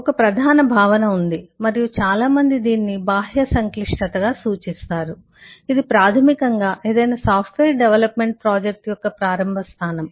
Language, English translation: Telugu, there is a, there is a notion, and, eh, many people refer to it as external complexity, which is basically the starting point of any software development project